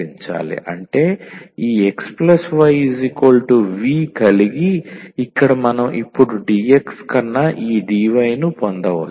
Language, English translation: Telugu, That means, this x plus y we will set as y v and having; so here we can now get this dy over dx